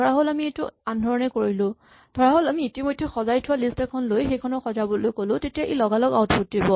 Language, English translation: Assamese, So, suppose we do it the other way, suppose we take a list which is already sorted, and now we ask it to sort, then it comes back instantly